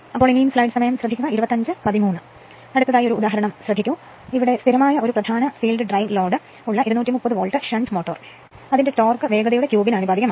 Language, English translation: Malayalam, So, next is one example, so a 230 volt shunt motor with a constant main field drives load whose torque is proportional to the cube of the speed the when running at 600 rpm